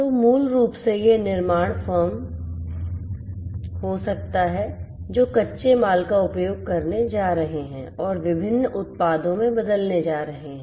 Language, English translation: Hindi, So, basically this could be this manufacturing firm which are going to use the raw materials and are going to transform that into different products